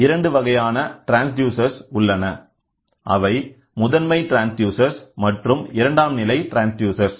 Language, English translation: Tamil, There are two types of transducers; one it is called as primary transducer, the other one is called as secondary transducer